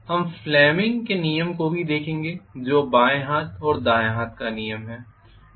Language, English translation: Hindi, We will also look at fleming’s rule which is left hand and right hand rule